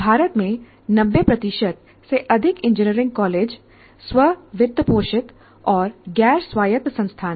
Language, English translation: Hindi, And more than 90% of engineering colleges in India are self financing and non autonomous institutions